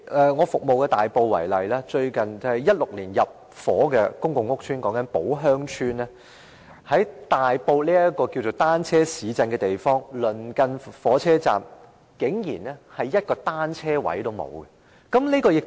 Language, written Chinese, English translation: Cantonese, 以我服務的大埔為例，在2016年入伙的公共屋邨寶鄉邨，在大埔這個稱為單車市鎮的地方，火車站鄰近竟然一個單車車位也沒有。, Take Tai Po which I serve as an example . In Po Heung Estate the intake of which started in 2016 no bicycle parking space is provided in the vicinity of the train station in Tai Po which is proclaimed as a cycling town